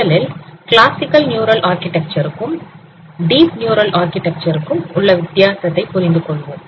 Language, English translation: Tamil, So, let us understand what is the difference between a classical neural architecture and a deep neural architecture